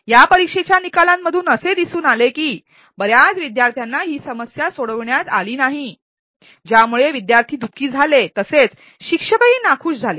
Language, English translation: Marathi, The results of this exam showed that most of the students were not able to solve this problem, which made the students unhappy as well as the instructor unhappy